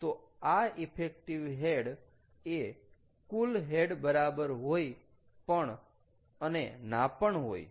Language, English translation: Gujarati, so effective head is may or may not be equal to total head